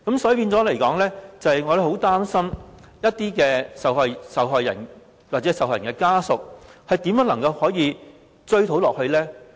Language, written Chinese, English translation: Cantonese, 所以，我們很擔心一些受害人或受害人的家屬，他們如何一直追討責任呢？, So we really worry about how certain victims or their families can go on holding the culprit responsible